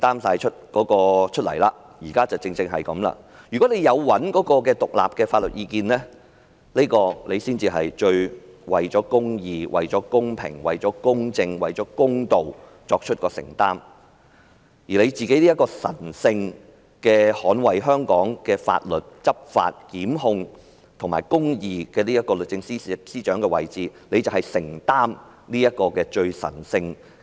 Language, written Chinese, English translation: Cantonese, 如果律政司有尋求獨立的法律意見，才算是最為公義、公平、公正、公道，而她也擔當了神聖地捍衞香港的法律，執法、檢控和維持公義的律政司司長的位置，便要承擔這最神聖的任務。, It can be considered the most faithful adherence to justice equity impartiality and fairness only if DoJ has sought independent legal advice . In the meantime as she has assumed the office as the Secretary for Justice she has to defend and enforce Hong Kongs law to institute prosecutions and to uphold justice in a sacred way she then has to take responsibility of this sacred errand